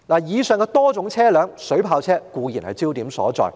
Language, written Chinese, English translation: Cantonese, 在上述多種車輛中，水炮車固然是焦點所在。, Among the various types of vehicles mentioned above water cannon vehicle certainly is the focal issue